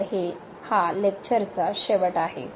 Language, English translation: Marathi, So, that is the end of the lecture